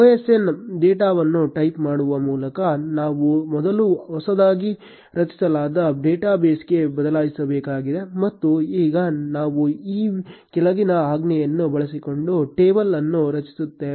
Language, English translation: Kannada, We will first need to switch to the newly created database by typing use osn data and now we will create a table using the following command